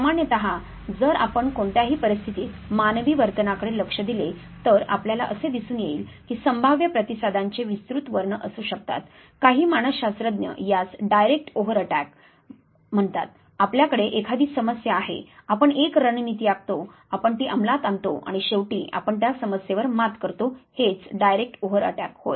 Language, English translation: Marathi, So, usually if you look at human behavior in any given situation you would find that know there could be a wide spectrum of possible responses, somewhat psychologists call as direct over attack, you have a situation at hand you plan a strategy you execute it you have finally, overcome the problem that is the direct overt attack